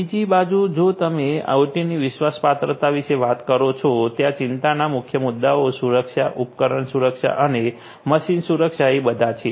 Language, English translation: Gujarati, On the other hand, if you are talking about OT trustworthiness, the main issues of concern are safety, device safety, machine safety and so on